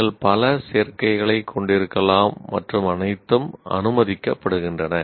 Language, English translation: Tamil, You can have several combinations combinations all are permissible